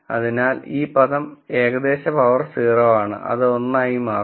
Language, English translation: Malayalam, So, this term will be something to the power 0 which will become 1